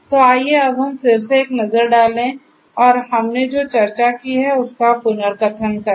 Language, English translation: Hindi, So, let us now again take a look and take a recap of what we have discussed